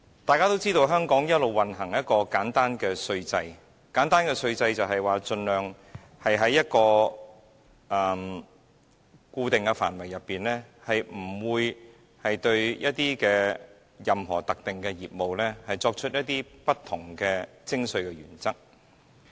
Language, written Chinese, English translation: Cantonese, 大家也知道，香港一直奉行簡單稅制，而簡單的稅制的意思是，盡量在固定的範圍內，不會對任何特定的業務作出不同的徵稅原則。, As we all know Hong Kong has been practising a simple tax regime . A tax regime is simple in the sense that up to a prescribed degree or extent no specific businesses will be treated differently in terms of taxation principles